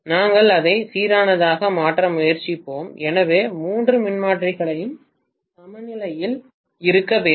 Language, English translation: Tamil, We will try to make it only balanced, so all the three transformers have to be balanced